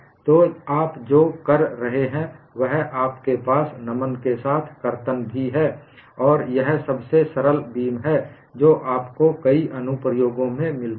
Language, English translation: Hindi, So, what you are having is you are having bending as well as shear and this is the simplest beam that you come across in many applications